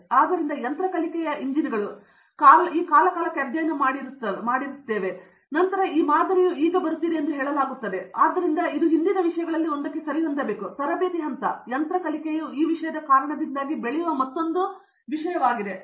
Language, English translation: Kannada, So there are machine learning engines, who would have studied this patterns for a period of time and then they will now say this pattern now is coming so this is should be matching on to one of those earlier things, there is a Training phase, machine learning is a another thing that crops up because of this internet of things